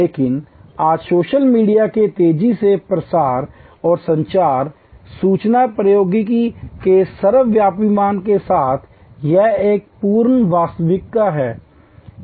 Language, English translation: Hindi, But, today with the rapid proliferation of social media and ubiquitousness of communication and information technology, this is an absolute reality